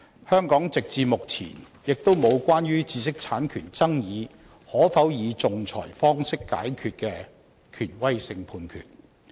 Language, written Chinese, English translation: Cantonese, 香港直至目前也沒有關於知識產權爭議可否以仲裁方法解決的權威性判決。, In Hong Kong there has been no authoritative judgment concerning the arbitrability of disputes over IPR either